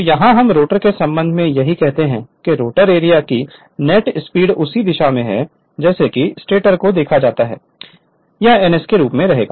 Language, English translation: Hindi, So, so here so this is your what you call that with respect to the rotor that is same direction the net speed of the rotor field as seen from the stator is it will remain as your ns right